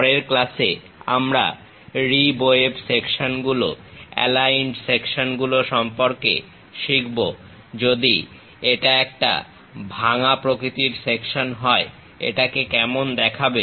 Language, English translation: Bengali, In the next classes we will learn more about rib web sections, aligned sections; if it is a broken out kind of section how it looks like